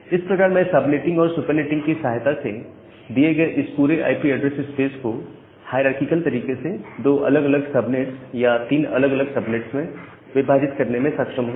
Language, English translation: Hindi, So, that way, now I am able to with the help of the subnetting and supernetting I am able to distribute this entire IP address space that was given to me into two different subnets, so or three different subnets in a hierarchical way